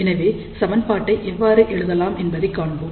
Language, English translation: Tamil, So, let us see how we can write the equation